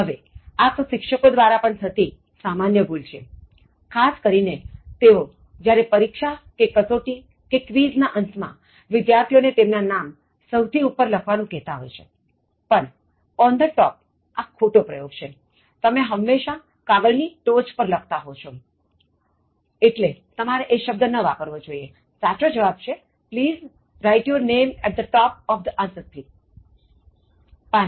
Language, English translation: Gujarati, Now this is a common error even committed by most of the teachers, especially when they warn the students at the end of the exam or an assignment or a test or a quiz to write the name on the top, but on the top is again wrong expression, you always right at the top of the sheets, at the top of pieces of paper so you should not use on, the correct form is: Please write your name at the top of the answer script